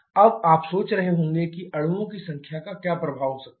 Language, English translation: Hindi, Now, you may be wondering what can be the effect of the number of molecules